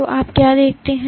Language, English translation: Hindi, So, what you see